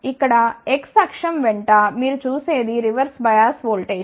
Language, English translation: Telugu, What you see along X axis here that is a reverse bias voltage